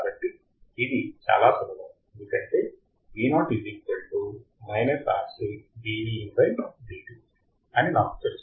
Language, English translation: Telugu, So, it is very easy because I know the formula